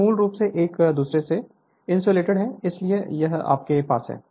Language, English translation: Hindi, They are basically you are insulated from each other, so this is whatever you have